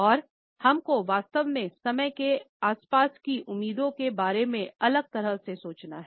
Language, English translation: Hindi, And we really have to think differently about expectations around timing